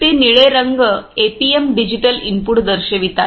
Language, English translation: Marathi, That blue colours APMs indicates the digital input ah